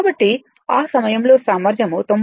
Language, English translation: Telugu, Therefore, at that time efficiency was 99 percent